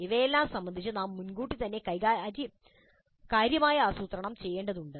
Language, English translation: Malayalam, Regarding all these, we need to do substantial planning well in advance